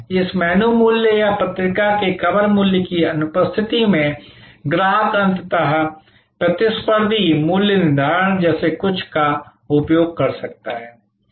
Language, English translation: Hindi, In the absence of this menu price or cover price of the magazine, customer may use something like a competitor pricing ultimately